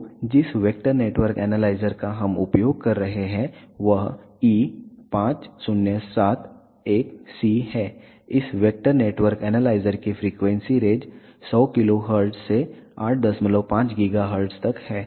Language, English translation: Hindi, So, the vector network analyzer that we are using is E5071C, the frequency range for this vector network analyzer is from 100 kilohertz to 8